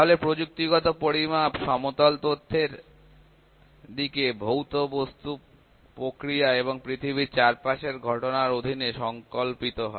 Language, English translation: Bengali, So, the technical measurements are intended to plane information under properties of physical objects, processes and phenomena in the surrounding world